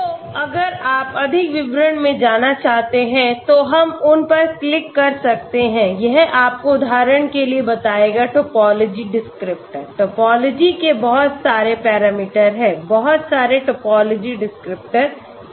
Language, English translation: Hindi, So if you want to go into more details, we can click on them, it will tell you for example Topology descriptors, very lot of Topology parameters are there, lot of Topology descriptors are there okay